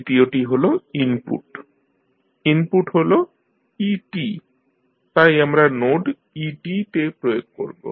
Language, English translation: Bengali, Then third one is the input, input is et so we apply at the node et also